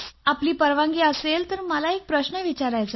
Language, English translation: Marathi, If you permit sir, I would like to ask you a question